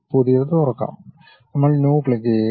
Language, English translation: Malayalam, Open the new one, then we click the New one